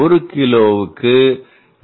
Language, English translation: Tamil, 5 per KG to 2